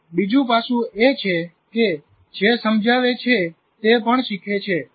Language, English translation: Gujarati, And another aspect is whoever explains also learns